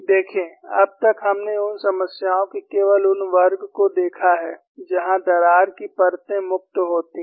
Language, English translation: Hindi, See, so far, we have looked at only those class of problems, where the crack surfaces are free